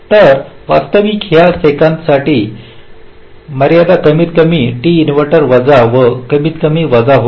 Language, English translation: Marathi, so actually, for this second one, the constrained will become max step plus minus minimum of t inverter